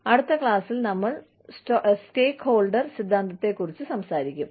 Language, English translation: Malayalam, We will talk about, the stakeholder theory, in the next class